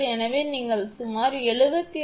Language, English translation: Tamil, So, you will get approximately 76